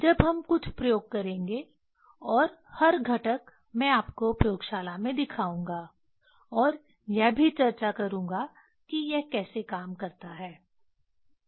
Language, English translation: Hindi, When we will do some experiment and every components I will show you in laboratory and also I will discuss how it works